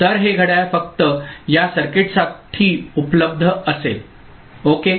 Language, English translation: Marathi, So, this clock will be available only for this circuit ok